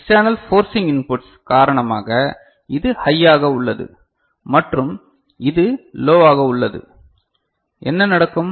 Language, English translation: Tamil, Now, because of this external forcing inputs that you get over here that this is high and this is low, what would happen